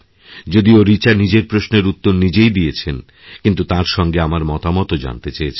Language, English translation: Bengali, Although she herself has given the answer to her query, but Richa Ji wishes that I too must put forth my views on the matter